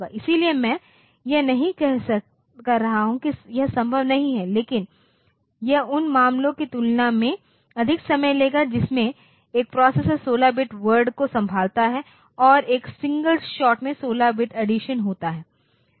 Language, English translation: Hindi, So, I am not saying that this is not possible, but this will take more time compared to the case in which a processor handle 16 bit word and a 16 bit addition is done in a single shot